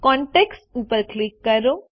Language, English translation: Gujarati, Click on contacts